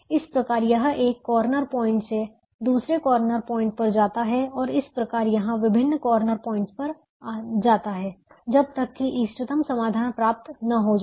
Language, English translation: Hindi, therefore it move from one corner point to an adjacent corner point and keeps traveling this corner points till the optimum solution is found